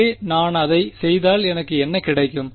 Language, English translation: Tamil, So, if I do that what do I get is